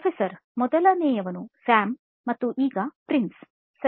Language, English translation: Kannada, First one was Sam and now Prince, ok